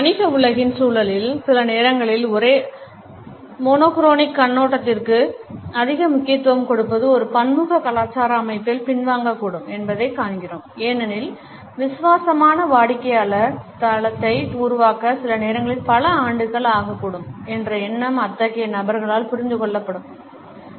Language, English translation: Tamil, In the context of the business world sometimes we find that too much of an emphasis on monochronic perspective can backfire in a multicultural setting because the idea that sometimes it may take years to develop a loyal customer base is not understood by such people